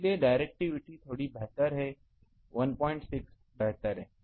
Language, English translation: Hindi, So, directivity is a bit better 1